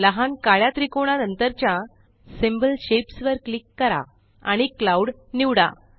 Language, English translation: Marathi, Click on the small black triangle next to Symbol Shapes and select the Cloud